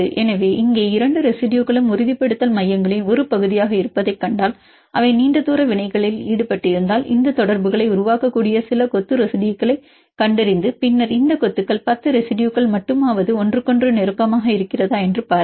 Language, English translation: Tamil, So, here if you see the two residues are the part of stabilization centers if they are involved in long range interactions they find the some cluster of residues which can form these contacts and then see whether these clusters are close to each other at least with the 10 residues